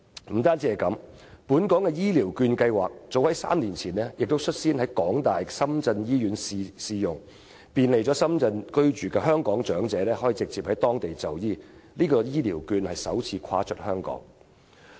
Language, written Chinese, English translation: Cantonese, 不僅如此，本港的醫療券計劃早在3年前便率先在香港大學深圳醫院試用，便利在深圳居住的香港長者直接在當地就醫，這是醫療券首次"跨出"香港。, In addition the pilot scheme for the use of Hong Kongs elderly health care vouchers at the University of Hong Kong - Shenzhen Hospital was launched three years ago to make it more convenient for our elderly people residing in Shenzhen to directly seek medical treatment there marking the first time such health care vouchers had been allowed to be used outside Hong Kong